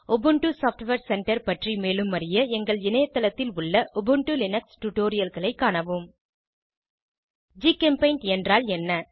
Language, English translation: Tamil, For more information on Ubuntu software Center, please refer to Ubuntu Linux Tutorials on our website What is GChemPaint